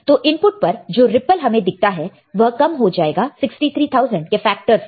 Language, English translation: Hindi, So, the ripple seen by the input will be reduced by factor of 63000